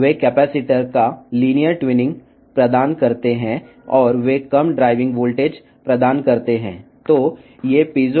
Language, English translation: Telugu, They provide linear tuning of the capacitor and they provide low driving voltage